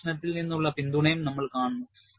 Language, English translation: Malayalam, And, we will also see a support from experiment